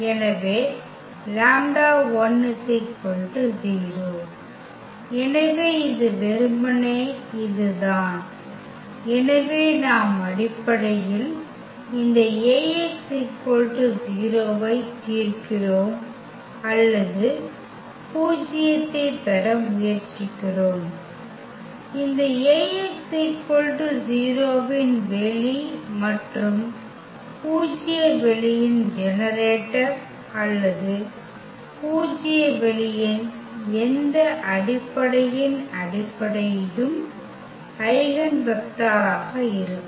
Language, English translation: Tamil, So, the lambda is 0, so this is simply this a so we are solving basically this A x is equal to 0 or we are trying to get the null space of this A x is equal to 0 and the generator of the null space or the basis of the any basis of the null space will be the eigenvector